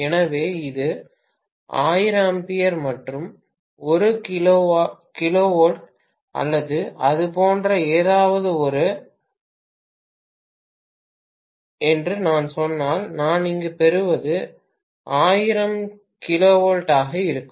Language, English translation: Tamil, So, if I say this is 1000 ampere and 1 kilovolt or something like that, what I get here will be 1000 kilovolt